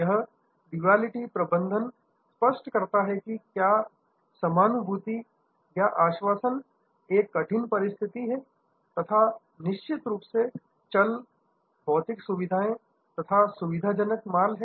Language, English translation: Hindi, This duality management makes whether empathy or assurance rather tough call and then of course,, there are tangibles, physical facilities and facilitating goods